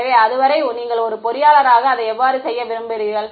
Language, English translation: Tamil, So, it is up to you as the engineer how you want to do it